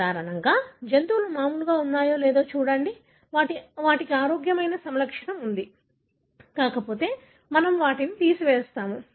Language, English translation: Telugu, Normally, look at whether the animals are normal, they have a healthy phenotype, if not we remove them